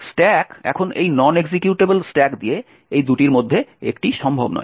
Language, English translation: Bengali, Now with this non executable stack one of these two is not possible